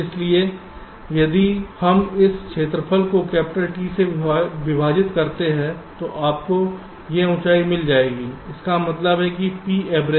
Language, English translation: Hindi, so if we divide this area by capital t, you will be getting this height